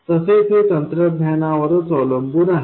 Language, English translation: Marathi, Now it also depends on the technology itself